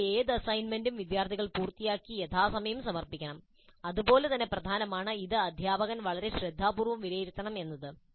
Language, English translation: Malayalam, Any assignment given must be completed by the students and submitted in time and equally important it must be evaluated by the teacher very carefully